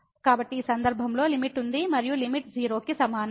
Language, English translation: Telugu, Therefore, in this case the limit exists and the limit is equal to